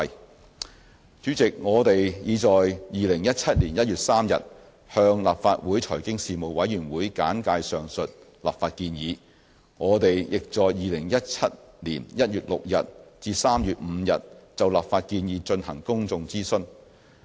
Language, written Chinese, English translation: Cantonese, 代理主席，我們已在2017年1月3日向立法會財經事務委員會簡介上述立法建議，亦在2017年1月6日至3月5日就立法建議進行公眾諮詢。, Deputy President we briefed the Panel on Financial Affairs of the Legislative Council on 3 January 2017 on the above legislative proposal . We also conducted a public consultation from 6 January to 5 March 2017 on the legislative proposal